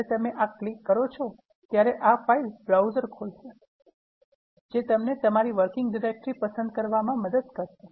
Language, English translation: Gujarati, When you click this, this will open up a file browser, which will help you to choose your working directory